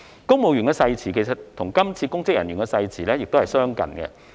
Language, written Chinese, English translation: Cantonese, 公務員的誓詞與今次公職人員的誓詞亦相近。, The oath for civil servants is similar to that for public officers this time